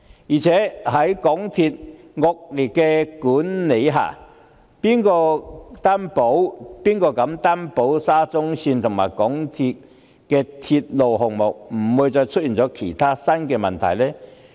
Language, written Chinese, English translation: Cantonese, 再者，在港鐵公司的惡劣管理下，誰能擔保沙中線及港鐵公司的鐵路項目不會再出現其他新問題？, Moreover who can guarantee that there will be no more new problems with SCL and other railway projects under the poor management of MTRCL?